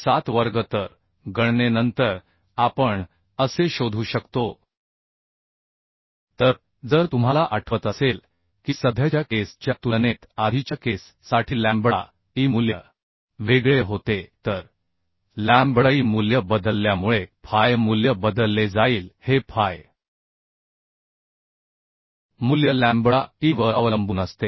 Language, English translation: Marathi, 1407 square So after calculation we can find out as this So if you remember that lambda e value was different for earlier case as compared to the present case So as lambda e value has been changed the phi value will be changed because phi value depends on the lambda e so phi value I can find out that is we know 0